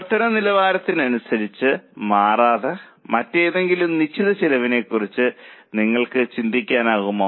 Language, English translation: Malayalam, Do you think of any other fixed cost which does not change with level of activity